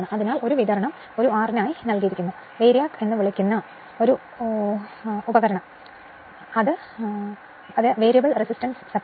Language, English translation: Malayalam, So, this supply is given for an your what you call for an instrument called VARIAC, variable resistance supply